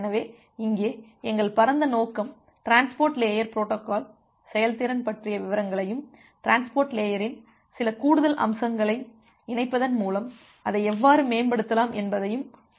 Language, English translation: Tamil, So, here our broad objective would be look into the details of transport layer protocol performance and how you can improve it by incorporated incorporating certain additional features over the transport layer